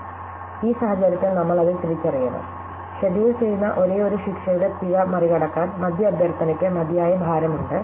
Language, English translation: Malayalam, So, ideally in this situation, we should recognize that the middle request has enough weight to overcome the penalty of it being the only one that will be scheduled